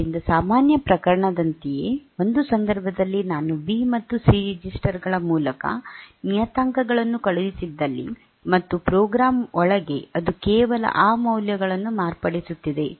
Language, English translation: Kannada, So, in one case like in the normal case like if you are say I have passed the parameters being through the registers B and C, and inside the program it is just modifying those values